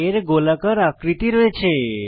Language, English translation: Bengali, It has spherical shape